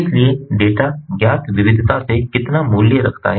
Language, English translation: Hindi, so how much value the data has from the variety